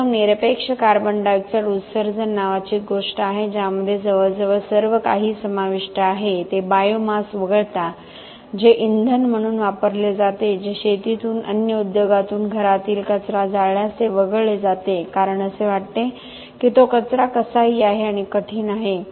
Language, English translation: Marathi, First there is something called absolute carbon dioxide emission which almost include everything except the biomass that is used as fuel that is waste from agriculture from food industry from households if it is burnt that is excluded because it is felt that it is waste anyway and is difficult to characterize because it is very non uniform